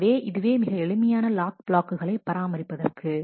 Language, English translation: Tamil, So, this is a simple way to manage the locks